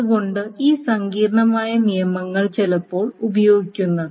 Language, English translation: Malayalam, So that is why these complicated rules are sometimes used